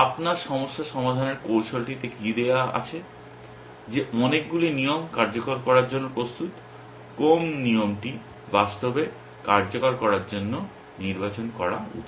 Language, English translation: Bengali, What is your problem solving strategy given that many rules of ready to execute which rule should be select to execute actually essentially